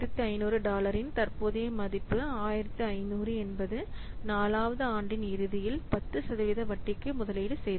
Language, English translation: Tamil, So, the present value of dollar 1 500, 1500 invested at 10% interest at the end of fourth year